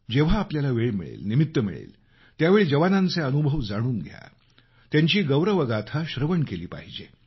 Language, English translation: Marathi, Whenever we get a chance or whenever there is an opportunity we must try to know the experiences of our soldiers and listen to their tales of valour